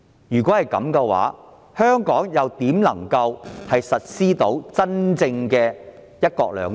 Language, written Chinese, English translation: Cantonese, 如果是這樣，香港如何能夠施行真正的"一國兩制"？, If so how could Hong Kong implement the genuine form of one country two systems?